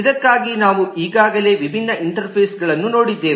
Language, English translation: Kannada, We have already seen different interfaces for it